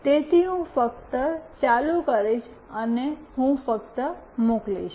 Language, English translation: Gujarati, So, I will just ON it and I will just send